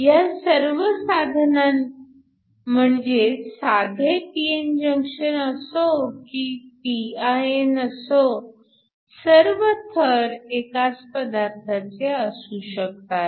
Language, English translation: Marathi, So, These cases whether you have a simple p n junction or a pin you could have them of the same material